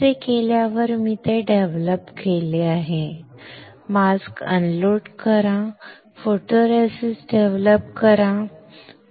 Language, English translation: Marathi, After doing that I have developed it, unload the masks develop photoresist, right